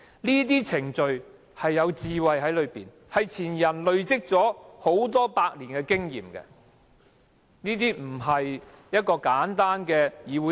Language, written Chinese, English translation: Cantonese, 這些程序背後有其智慧，是前人累積下來的數百年經驗，不是簡單的議會程序。, Backed by wisdom born out of centuries of experience accumulated by our predecessors these proceedings are no simple matters